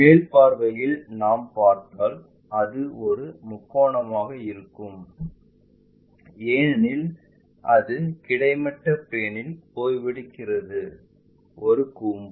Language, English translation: Tamil, Then anyway in the top view if we are looking at it, it will be a triangle because it is a cone which is resting on the horizontal plane